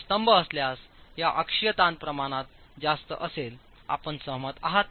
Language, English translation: Marathi, If it were a column, if it were a column these axial stress ratios will be high